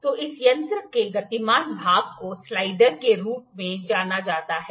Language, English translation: Hindi, So, the moving part of this instrument is known as slider